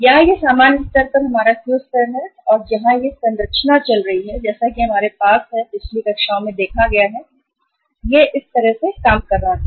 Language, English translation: Hindi, Here it is our Q level in the normal course and this where this structure was going on as we have seen in the previous classes this was working like this